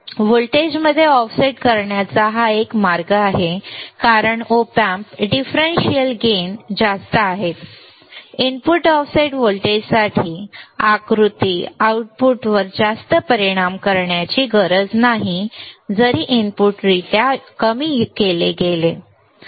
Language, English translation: Marathi, This is one way of offset in the voltage be being that Op Amp differential gains are high the figure for input offset voltage does not have to be much effect on the output even though inputs are shorted right